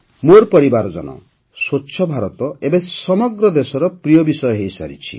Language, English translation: Odia, My family members, 'Swachh Bharat' has now become a favorite topic of the entire country